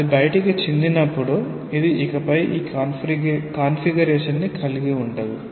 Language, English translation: Telugu, When it has spilled out, it is no more this configuration